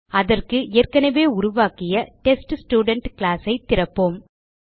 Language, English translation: Tamil, For that, let us open the TestStudent class which we had already created